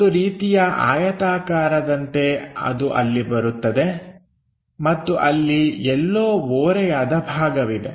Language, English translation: Kannada, Something like there is a rectangle which comes all the way there and there is an inclined slot somewhere here